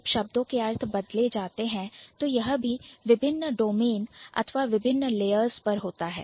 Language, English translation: Hindi, So when you say change the meaning, it also happens at different domains or different layers